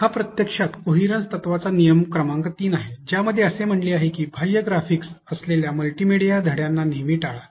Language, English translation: Marathi, This is actually rule number 3 of coherence principle which says that always avoid multimedia lessons that have extraneous graphics